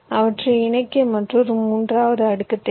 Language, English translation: Tamil, right, i need another third layer to connect them